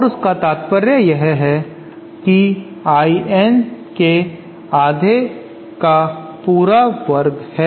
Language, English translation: Hindi, And this implies that half of I N dash whole square